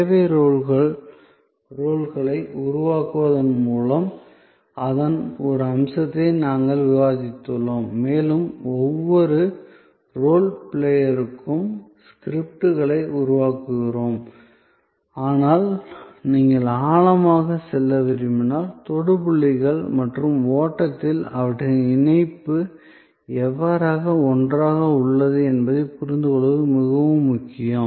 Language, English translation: Tamil, We have discussed one aspect of it that by create service roles and we creates scripts for each role player, but if you want to go into deeper, it is very important to understand the touch points and their nature and the how their link together on the flow